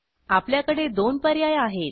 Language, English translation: Marathi, We have two options here